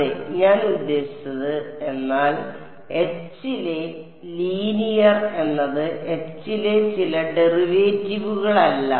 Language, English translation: Malayalam, Yeah I mean, but linear in H is not some derivative in H right